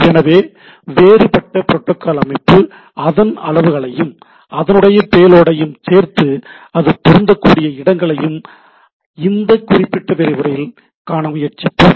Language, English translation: Tamil, So, we will try to see that different protocol structure and what it sizes, including its payload wherever this it is applicable right in this particular lecture